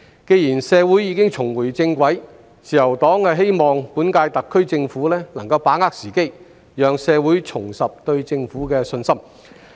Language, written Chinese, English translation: Cantonese, 既然社會已經重回正軌，自由黨希望本屆特區政府能夠把握時機，讓社會重拾對政府的信心。, Now that society is back on track the Liberal Party hopes that the current - term SAR Government will seize the opportunity to restore public confidence in it